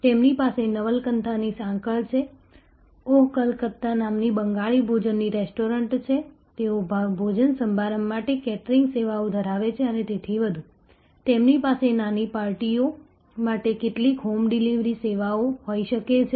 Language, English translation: Gujarati, They have a chain of novel, Bengali cuisine restaurant called Oh Calcutta, they have catering services for banquet and so on, they may have some home delivery services for small parties